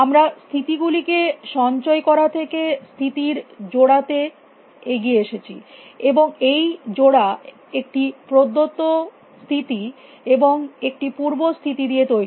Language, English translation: Bengali, We had moved from storing only the states to a pair of states, and the pair consists of a given state, and the parent state